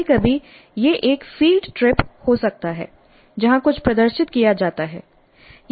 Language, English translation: Hindi, Sometimes it can be a field trip where something is demonstrated